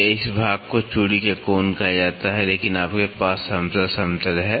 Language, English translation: Hindi, This is this portion is called the angle of thread so, but you have flat plane